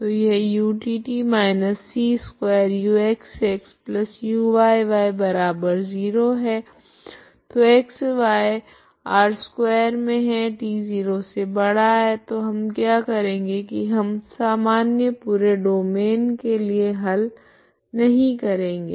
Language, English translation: Hindi, So that is utt−c2( uxx+uyy )=0, so x , y ∈ R2,t >0, what we do is we do not solve in the general full domain